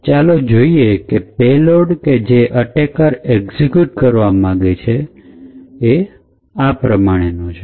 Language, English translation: Gujarati, Let us say that the payload that the attacker wants to execute is as follows